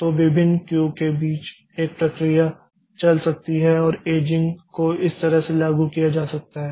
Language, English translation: Hindi, So, a process can move between the various cues and aging can be implemented this way